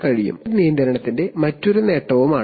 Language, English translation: Malayalam, So this is another advantage of cascade control